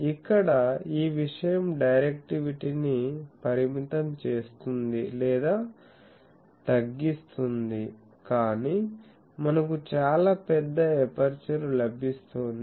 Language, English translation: Telugu, So, here this thing will restrict or reduce the directivity, but we are getting much larger aperture